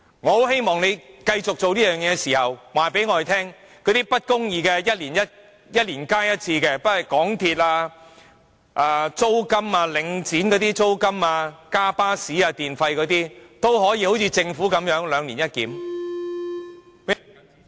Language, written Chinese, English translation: Cantonese, 我很希望，政府繼續這樣做的同時，可以告訴我們那些一年加價一次的不公義制度，不論是港鐵、領展租金、巴士車費、電費等也好像政府處理最低工資般兩年一檢。, I very much hope that as the Government continues to adopt this practice it can tell us at the same time that those unjust systems whereby fees or charges can be increased once a year whether it be MTR fares rent charged by The Link bus fares or electricity tariffs will also be subject to review once every two years as in the way the Government deals with the minimum wage